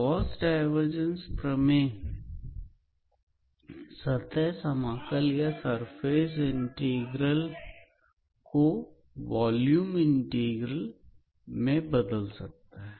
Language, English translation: Hindi, So, Gauss Divergence theorem gives us a tool to transform any surface integral into a volume integral